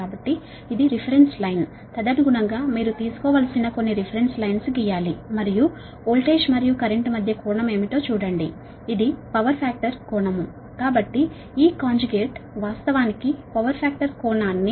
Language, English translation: Telugu, accordingly, you draw some reference line you have to take and see what is the angle between voltage and current, that is, power factor angle